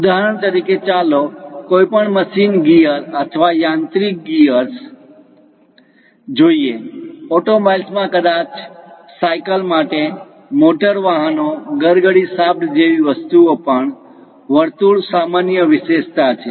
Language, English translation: Gujarati, For example, let us look at any machine gear or mechanical gears; in automobiles, perhaps for cycle, motor vehicles, even pulley shaft kind of things, the circles are quite common features